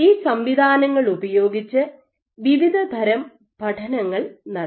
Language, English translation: Malayalam, So, using these systems variety of studies have been performed